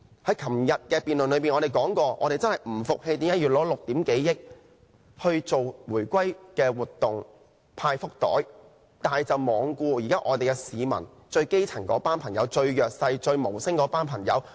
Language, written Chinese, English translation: Cantonese, 在昨天辯論時，我們說過我們不服氣為何要耗費6億多元舉行回歸活動、派福袋，但卻罔顧市民——最基層、最弱勢、最無聲的朋友——的需要。, In the debate conducted yesterday we said that we were not convinced why more than 600 million had to be spent on organizing events to celebrate the reunification and distributing fortune bags without regard for the needs of members of the public―the grass roots the disadvantaged and the silent groups